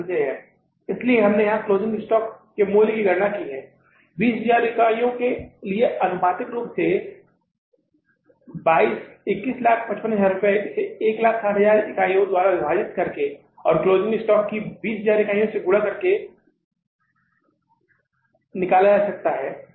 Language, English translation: Hindi, So, we have calculated the value of the closing stock here for 20,000 units proportionately by taking it 21,055,000 divided by the 160,000 units and multiplied by the 20,000 units of the closing stock